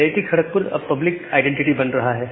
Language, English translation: Hindi, So, IIT Kharagpur is now becoming the identity the public identity